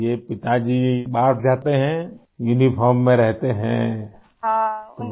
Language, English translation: Hindi, So your father goes out, is in uniform